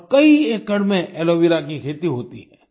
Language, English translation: Hindi, After this they started cultivating aloe vera